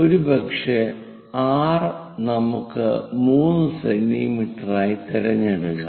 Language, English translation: Malayalam, Maybe r let us pick something like 3 centimeters